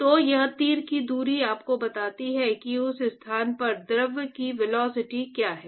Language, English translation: Hindi, So, this arrow distance tells you what is the velocity of the fluid at that location